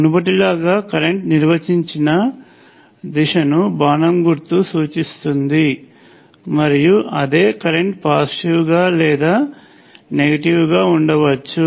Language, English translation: Telugu, As before, the arrow indicates the direction in which the current is defined that current itself could be positive or negative